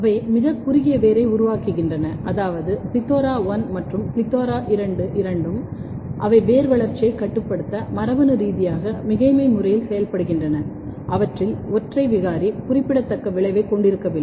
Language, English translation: Tamil, They are very very short rooted, which means that both plethora1 and plethora2, they are working in a genetically redundant manner to regulate the root growth and single mutant of them, do not have a significant effect